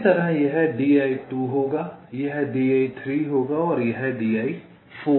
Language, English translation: Hindi, similarly, this will be d i two, this will be d i three and this will be d i four